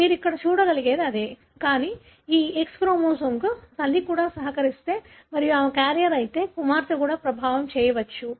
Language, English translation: Telugu, That is like what you can see here; but, if the mother also contributes to this X chromosome and if she is a carrier, then the daughter also can be affected